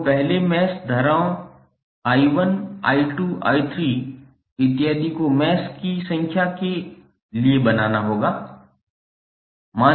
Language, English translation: Hindi, You have to assign first mesh currents I1, I2, I3 and so on for number of meshes